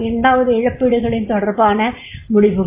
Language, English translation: Tamil, Second is compensation decisions